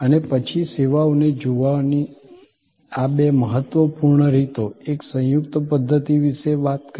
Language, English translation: Gujarati, We then talked about these two important ways of looking at services, a composite system